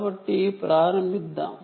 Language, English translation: Telugu, so let us start to begin with